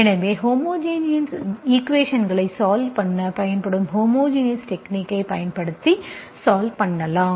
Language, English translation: Tamil, So as, then we integrate it using the homogeneous technique, homogeneous, just the technique that is used to solve the homogeneous equations